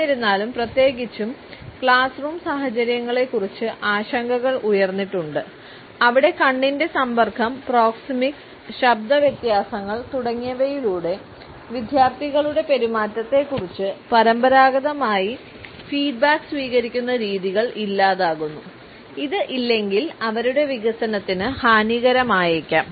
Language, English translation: Malayalam, However, concerns have been raised particularly about the classroom situations, where it was felt that the traditional ways of receiving of feedback about the behaviour of the students through eye contact, proxemics, voice differences etcetera; if absent may be detrimental to their development